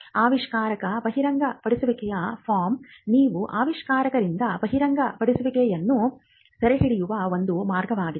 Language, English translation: Kannada, We had just mentioned that, invention disclosure form is one way in which you can capture the disclosure from an inventor